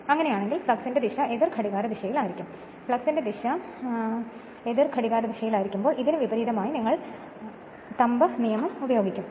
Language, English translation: Malayalam, So, in that case the direction of the flux will be anticlockwise, direction of the flux will be anticlockwise say this one, say this one just opposite to this, just opposite to this just you will use the thumb rule